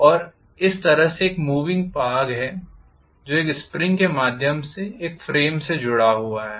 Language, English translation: Hindi, And I have let us say a moving portion like this which is attached to a frame through a spring